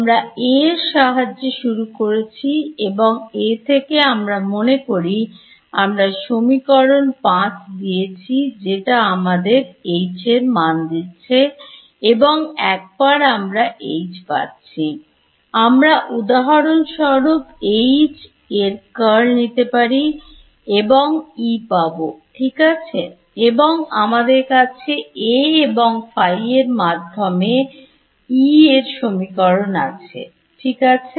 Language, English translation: Bengali, We started with A, from A I have supposing I give you A I have equation 5 which gives me H and once I get H I can for example, take curl of H and get E right and I also have a relation for E in terms of A and phi right